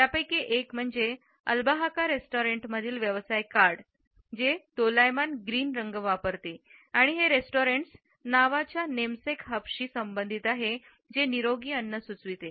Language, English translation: Marathi, One is of the business card for Albahaca restaurant which uses vibrant green and it is associated with the restaurants namesake hub suggesting fresh and healthy food